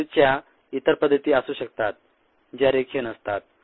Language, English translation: Marathi, there are other death behaviors that are non linear